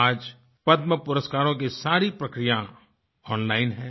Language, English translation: Hindi, The entire process of the Padma Awards is now completed online